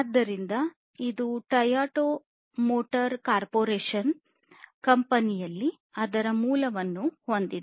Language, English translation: Kannada, So, it has its origin in the Toyota motor corporation company as I said before